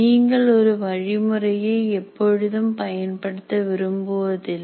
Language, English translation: Tamil, You do not want to use one method for everything